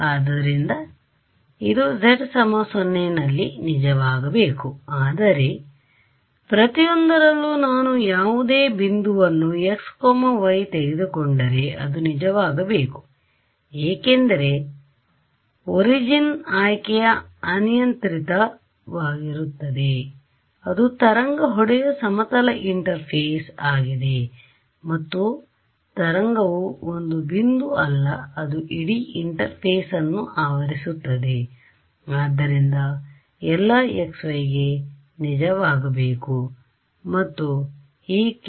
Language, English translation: Kannada, So, right so, this should be true at z equal to 0, but at every at if I take any point x y it should be true right, because the choice of origin is arbitrary it is a plane interface that the wave hitting over here right, and the wave is not a it is not a point right its hitting the entire interface